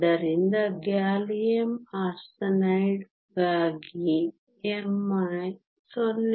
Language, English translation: Kannada, Gallium arsenide is even higher